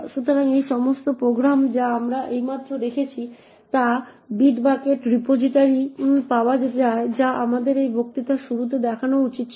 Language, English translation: Bengali, So, all of these programs that we have just seen is available in the bitbucket repository which we should have shown at the start of this lecture